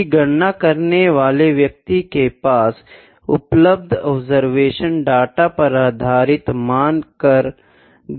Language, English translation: Hindi, If it is derived from the calculation based upon the observation data available to the person producing the measurement